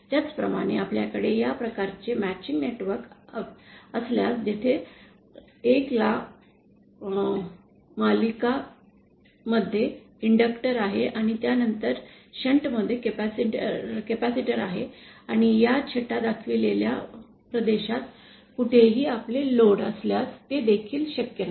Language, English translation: Marathi, Similarly if we have this kind of matching network where we 1st have inductor in series and capacitor and shunt after that and that is also not possible if we have our load anywhere in this shaded region